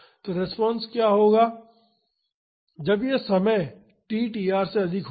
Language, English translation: Hindi, So, what will be the response, when this time is more than tr